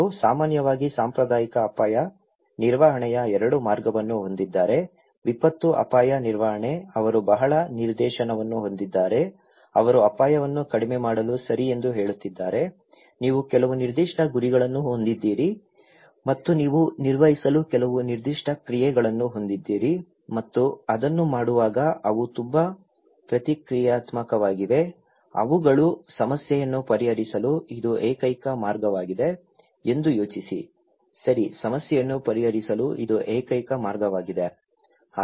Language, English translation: Kannada, They generally have 2 way of conventional risk management; disaster risk management, they are very directive, they are saying that okay in order to reduce the risk, you should do that you have some specific goals and you have some specific actions to perform and while doing it, they are also very reactive, they think that this is the only way to solve the problem, okay, this is the only way to solve the problem